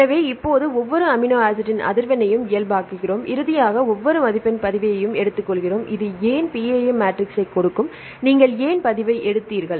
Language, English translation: Tamil, So, now we normalize the frequency of occurrence of each amino acid and finally, take the log of each value; this will give you the PAM matrix why did you take the log